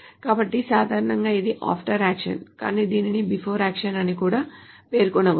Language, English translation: Telugu, So generally is after actions but it can be also specified as a before action